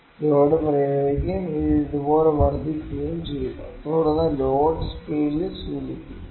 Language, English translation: Malayalam, The load is applied and it is increasing like this, then load it is load indicated on the scale this is the load